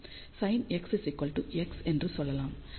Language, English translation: Tamil, So, we can say sin x is approximately equal to x